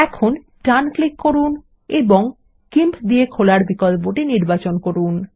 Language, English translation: Bengali, Now, right click and select Open with GIMP